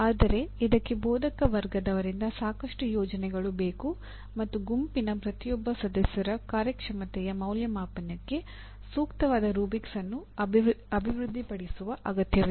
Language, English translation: Kannada, But this requires considerable planning on behalf of the instructor and developing appropriate rubrics for evaluation of the performance of each member of the group